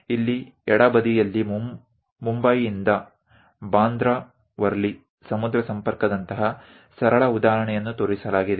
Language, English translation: Kannada, Here, on the left hand side a simple example like Bandra Worli sea link from Mumbai is shown